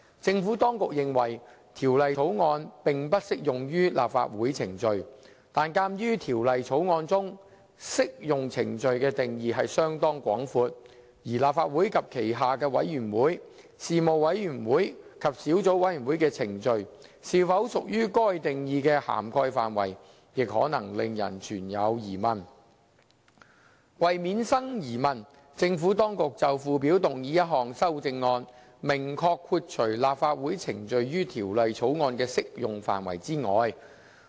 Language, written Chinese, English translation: Cantonese, 政府當局認為《條例草案》並不適用於立法會程序，但鑒於《條例草案》中"適用程序"的定義相當廣闊，而立法會及其轄下的委員會、事務委員會及小組委員會的程序，是否屬於該定義的涵蓋範圍亦可能令人存有疑問。為免生疑問，政府當局就附表動議一項修正案，明確豁除立法會程序於《條例草案》的適用範圍外。, While the Administration considered the Bill did not apply to Legislative Council proceedings given the broad definition of applicable proceedings under the Bill and the possible doubts as to whether proceedings of Legislative Council and its committees panels and subcommittees would fall within that definition the Administration proposed a CSA to the Schedule to exclude specifically the Legislative Councils proceedings from the application of the Bill for the avoidance of doubt